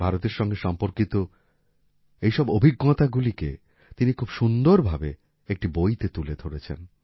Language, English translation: Bengali, Now he has put together all these experiences related to India very beautifully in a book